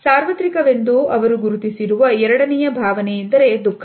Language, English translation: Kannada, The second emotion which they have identified as being universal is that of sadness of sorrow